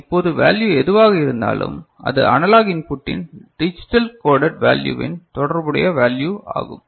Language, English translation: Tamil, And now whatever is the value that is the value related to the digitally coded value of the analog input is it fine